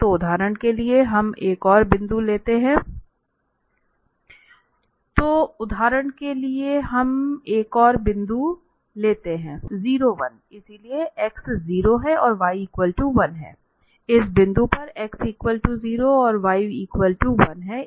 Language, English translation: Hindi, So for instance, we take another point the 0, 1 so x is 0 and then why is one so, at this point here x is 0 and y is 1